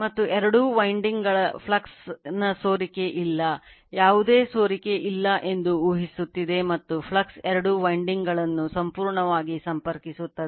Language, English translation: Kannada, And links fully both the windings there is no leakage of the flux, you are assuming there is no leakage and the flux links both the windings fully